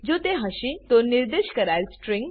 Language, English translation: Gujarati, If it is, it will print out the specified string